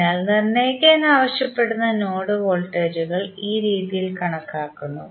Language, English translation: Malayalam, So, the node voltages which are asked to determine have been calculated in this way